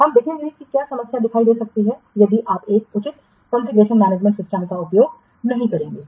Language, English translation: Hindi, We will see what problems can appear if you will not use a proper configuration management system